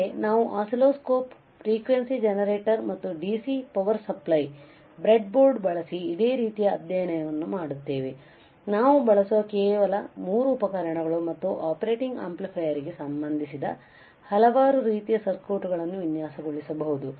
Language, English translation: Kannada, But we will also do the similar study using the breadboard using the oscilloscope, frequency generator and dc power supply, the only three equipments we will use and we will design several kind of circuits related to the operational amplifier all right